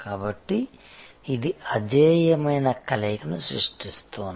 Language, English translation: Telugu, So, this is creating an unbeatable combination